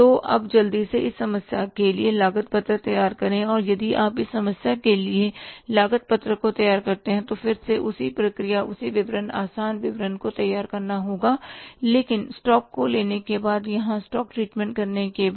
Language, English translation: Hindi, So now quickly let us prepare the cost sheet for this problem and if you prepare the cost sheet for this problem then again the same process same statement simple statement but after treating the stocks right after treating the stocks here